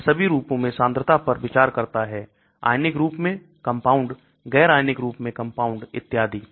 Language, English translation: Hindi, It considers concentration in all forms, compounds in ionised form, compounds in un ionised form and so on